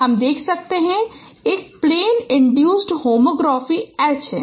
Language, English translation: Hindi, So first you compute the plane induced homography among themselves